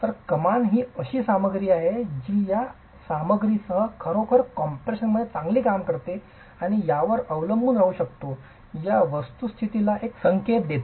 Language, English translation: Marathi, So, arches are something that give clue to the fact that this material really works well in compression and can be relied upon